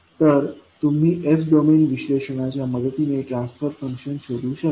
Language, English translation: Marathi, So, the transfer function you can find out with the help of the s domain analysis